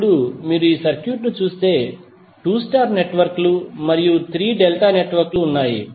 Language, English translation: Telugu, Now if you see the circuit, there are 2 star networks and 3 delta networks